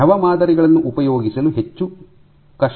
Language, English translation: Kannada, Liquid samples are much more difficult to deal with